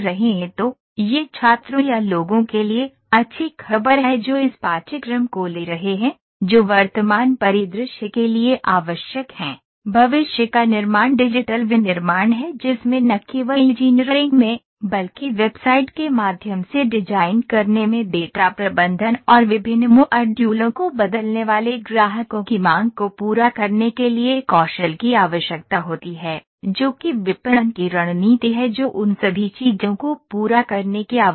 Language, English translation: Hindi, So, this is good news for the students or the people who are taking this courses that these skills are required for the present scenario that is coming up The future manufacturing is digital manufacturing in that needs the skills from all the different streams not only in engineering, but also in data management in designing through website and different modules the customers changing demands what are the marketing strategies all those things needs to be done